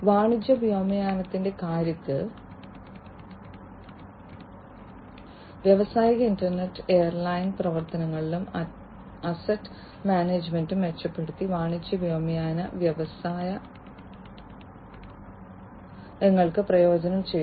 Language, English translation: Malayalam, In terms of commercial aviation, the industrial internet, has benefited the commercial aviation industries by improving both airline operations and asset management